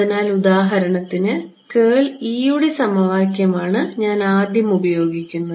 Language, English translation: Malayalam, So, the first equation will be for example, curl of E, this is the first equation that I use